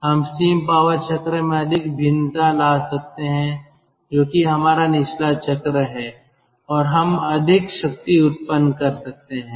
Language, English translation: Hindi, we can have more variation of the steam power cycle, which is our bottoming cycle, and we can generate more power